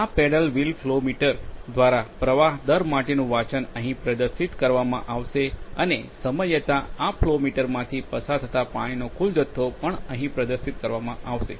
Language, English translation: Gujarati, The reading for the reading for the flow rate of the through this paddle wheel flow meter will be displayed here and also the total amount of water passing through this flow meter over a period of time will also be displayed here